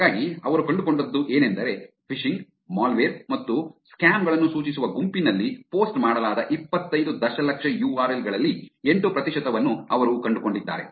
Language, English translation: Kannada, So, what they found is, they found 8 percent of the 25 million URLs posted on the site pointing to phishing, malware and scams